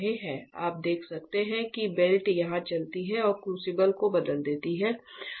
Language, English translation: Hindi, So, you can see the belt here moving that changes the crucible